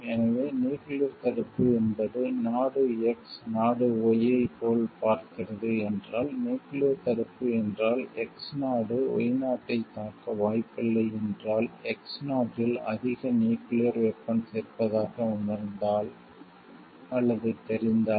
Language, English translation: Tamil, So, nuclear deterrence like if country X views like the country Y if nuclear deterrence means like, if the country X is very much unlikely to attack country Y, if it feels like the or if it knows like the country X has more nuclear weapons